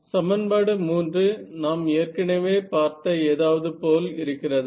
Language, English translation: Tamil, So, does this equation 3 look like does it look like something that we have seen before